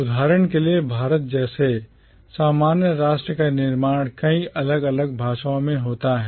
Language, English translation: Hindi, The literature that a commonwealth nation like India for instance produces is produced in many different languages